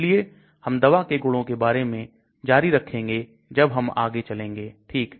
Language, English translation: Hindi, So we will continue more about this drug properties as we go along